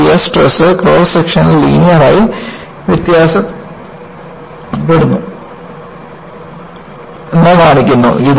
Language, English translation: Malayalam, And, this again, shows the shear stress varies linearly over the cross section